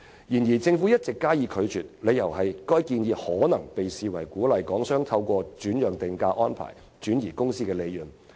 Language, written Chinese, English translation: Cantonese, 然而，政府一直加以拒絕，理由是這項建議可能會被視為鼓勵港商透過轉讓定價安排來轉移公司利潤。, Nevertheless the Government has refused to do so all along on the ground that this proposal may be perceived as a way to encourage their transfer of company profits via transfer pricing